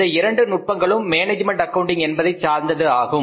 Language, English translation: Tamil, These two techniques are of the management accounting not of the cost accounting